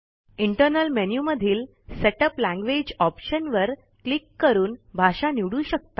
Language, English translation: Marathi, You can setup language by clicking Setup language option from the Internal Menu